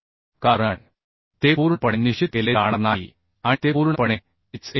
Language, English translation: Marathi, 65 because it will not be perfectly fixed and it will not be perfectly 0